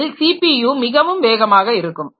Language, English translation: Tamil, So, out of this CPU, this is very fast